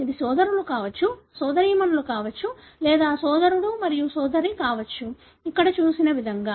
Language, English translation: Telugu, It could be brothers, it could be sisters or it could be brother and sister, like what is shown here